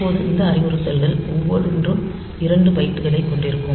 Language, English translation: Tamil, Now, each of these instructions they will take 2 bytes